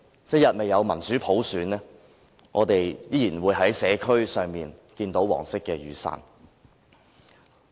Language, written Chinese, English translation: Cantonese, 一日未有民主普選，我們依然會在社區上看到黃色雨傘。, As long as democracy and universal suffrage are not attained we will continue to see yellow umbrellas in the communities